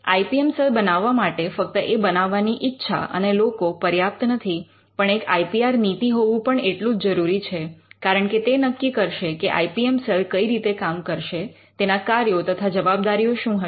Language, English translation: Gujarati, And an IPR policy is drawn up to have an IPM sell it is not just the will to make one and the people, but they are also has to the institute also need to have an IPR policy because, the policy will dictate how the IPM cell will act, the functions of the IPM cell the task that it needs to do